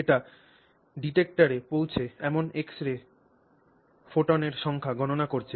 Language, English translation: Bengali, It is counting the number of x ray photons that are arriving at the detector